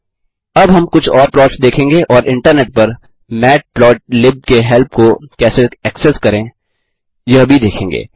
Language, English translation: Hindi, Now we will see few more plots and also see how to access help of matplotlib over the Internet